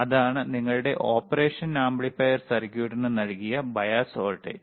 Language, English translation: Malayalam, That is your bias voltage given to your operational amplifier circuit;